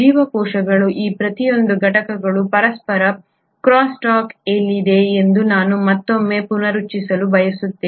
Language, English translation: Kannada, I again want to reiterate that each of these components of the cells are in crosstalk with each other